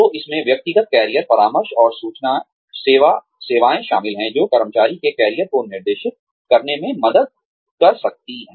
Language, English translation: Hindi, So, this includes, individual career counselling and information services, that can help, direct the career of the employee